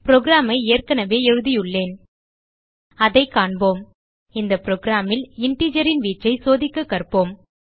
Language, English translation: Tamil, I have already written the program Lets have a look In this program ,we will learn to check the range of integers